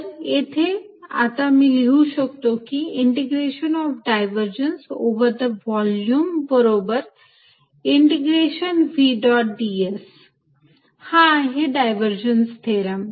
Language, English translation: Marathi, So, this I can write now as integration of divergence over the volume is going to be equal to integration over v dot d s, this is known as divergence theorem